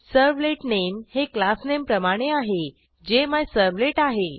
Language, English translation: Marathi, We can see that Servlet Name is same as that of the Class Name which is MyServlet